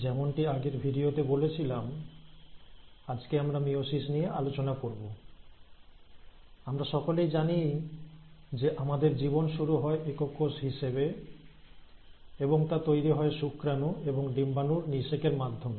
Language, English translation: Bengali, Now today we are going to talk about the process of meiosis, and as I had mentioned in my previous video, we all know that we start our life as a single cell, and this single cell arises because of the fertilization of egg by a sperm